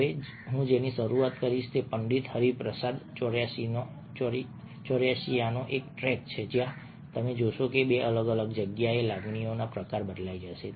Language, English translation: Gujarati, now, what i will start off with is a track from pandith hariprasad chourashiya, where you will find that in two different places, the kind of emotion conveyed will change